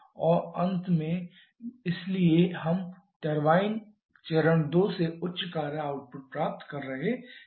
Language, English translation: Hindi, And therefore we are getting higher work output from turbine stage 2